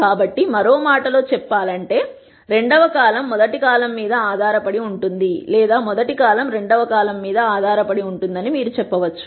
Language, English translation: Telugu, So, in other words the second column is dependent on the rst column or you could say the rst column is dependent on the second column